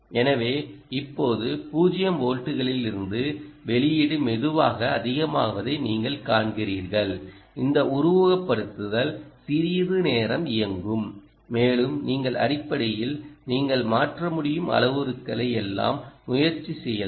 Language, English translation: Tamil, so you see, now, from zero volts the output is slowly picking up and this simulation will run for a while and you can essentially try everything that you want